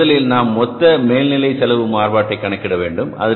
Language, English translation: Tamil, So first we are calculating the total overhead cost variance